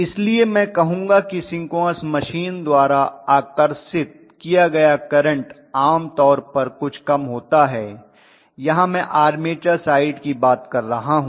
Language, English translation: Hindi, So I would say that the current drawn by the synchronous machine is generally somewhat smaller as compared to I am talking about the armature side ofcourse